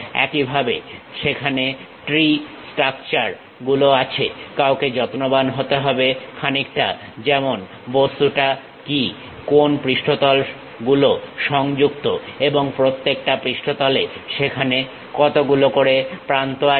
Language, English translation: Bengali, Similarly, there will be tree structures one has to be careful, something like what is the object, which surfaces are connected and each surface how many edges are there